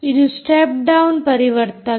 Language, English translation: Kannada, it is a step down transformer